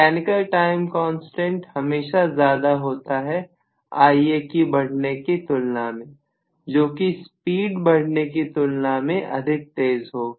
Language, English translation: Hindi, The mechanical time constants are always larger because of which, compared to the way in which Ia is increasing, that is going to be much faster as compared to the way in which the speed is going to increase